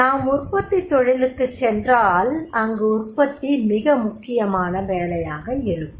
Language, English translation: Tamil, So like if we go for the manufacturing industry, the production that becomes very very important job